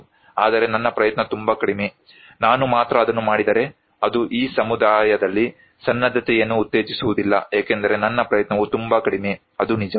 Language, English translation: Kannada, But my effort is too little, if only I do it, it would not promote the preparedness in this community, because my effort is too little, why should I do it and that is true; that is true